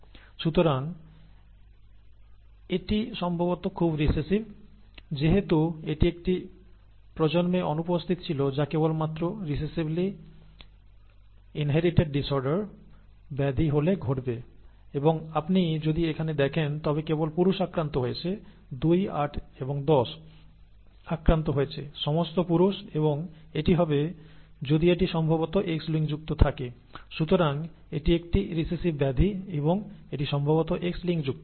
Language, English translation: Bengali, Therefore it is most likely recessive, right, since it has missed a generation that will happen only if it is a recessively inherited disorder and if you see here only males are affected, 2, 8 and 10 are affected, all are males and that will happen most likely if it is X linked, okay